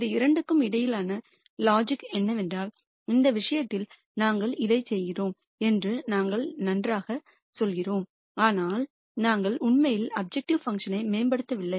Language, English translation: Tamil, The logic between these two are that in this case we are saying well we are doing this, but we are not really improving our objective function